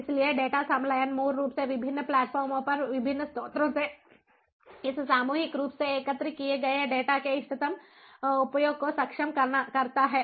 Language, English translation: Hindi, so data fusion basically enables optimum utilization of this massively collected data from different sources across different platforms